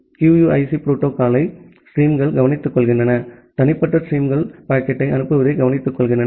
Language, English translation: Tamil, And then the streams take cares of the QUIC protocol itself takes care of sending the packet to the individual streams